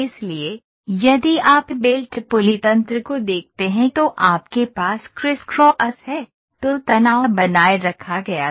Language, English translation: Hindi, so, if you look at belt pulley mechanism you have crisscross, were the tension is maintained